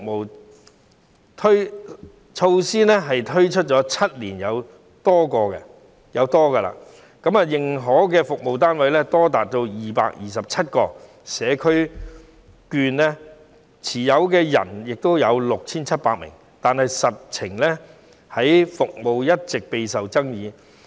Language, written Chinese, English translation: Cantonese, 此項措施推出了7年有多，認可的服務單位多達227個，社區券持有人亦有 6,700 名，但服務其實一直也備受爭議。, This measure has been launched for seven - odd years with as many as 227 recognized service units and 6 700 CCS voucher holders . However the services concerned have actually been controversial